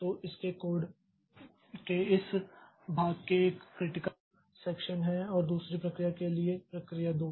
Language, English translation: Hindi, So, in this part of the code of its code is a critical section and for another process process two